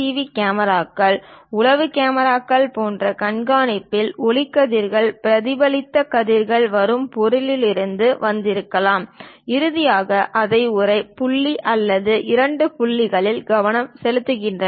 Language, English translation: Tamil, Similarly, in surveillance like cams, CCTV cams, spy cams; the light rays are perhaps from the object the reflected rays comes, finally focused it either one point or two points